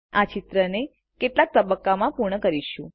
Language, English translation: Gujarati, We shall complete this picture in stages